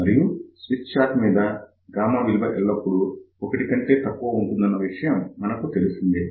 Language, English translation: Telugu, And for the Smith chart, we know that gammas are always less than 1